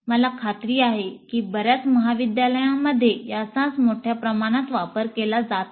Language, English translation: Marathi, And I'm sure this is what is being used extensively in many of the colleges